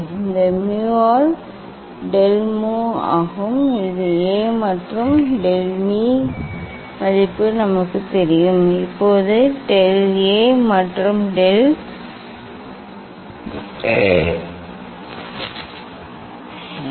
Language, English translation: Tamil, this is the del mu by mu equal to this, A and del m value is known to us, now what is del A and del of del m